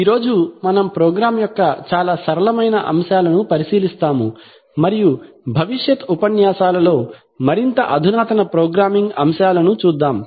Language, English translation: Telugu, Today we will look at the very simple elements of the program and in future lectures we shall go on to see more advanced programming elements